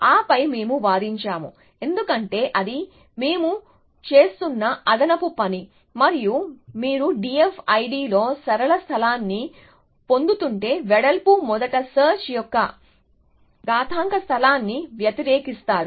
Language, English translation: Telugu, And then we argued that, because if that is only the extra work it we are doing and you are getting linear space in D F I D are oppose to exponential space of breadth first search